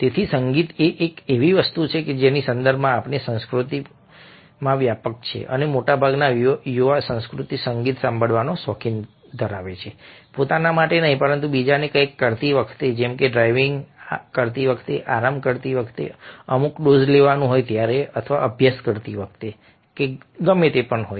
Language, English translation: Gujarati, so music is something which is within our culture of context, and majority of youth culture is found of listening to music not for itself but while doing something else, like driving, like a some going of dosing of, for relaxing, or may be when doing studies, whatever it is